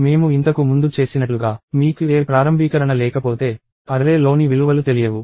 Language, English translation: Telugu, And as we did earlier, if you do not have any initialization, the values in the array are unknown